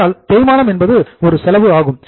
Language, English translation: Tamil, But, depreciation is one of the expense